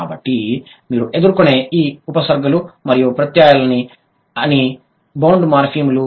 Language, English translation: Telugu, So, all these prefixes and suffixes that you encounter, these are bound morphemes